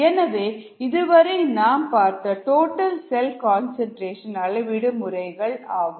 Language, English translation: Tamil, so those are the methods for total cell concentration measurement